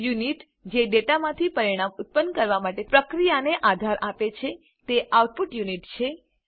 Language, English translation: Gujarati, The unit that supports the process of producing results from the data, is the output unit